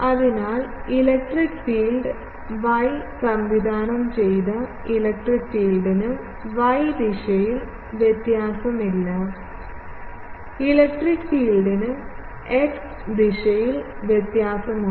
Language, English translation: Malayalam, So, electric field is y directed electric field does not have any variation in the y direction; electric field has variation in the x direction